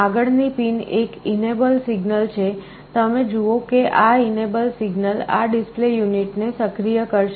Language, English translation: Gujarati, The next pin is an enable signal, you see this enable signal will activate this display unit